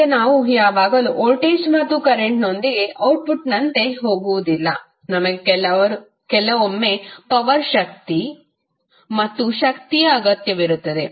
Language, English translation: Kannada, Now, it is not that we always go with voltage and current as an output; we sometimes need power and energy also as an output